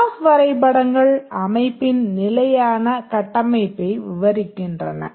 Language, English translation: Tamil, The class diagrams describe the static structure of the system